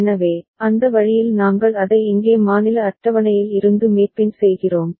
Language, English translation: Tamil, So, in that way we are just mapping it from the state table over here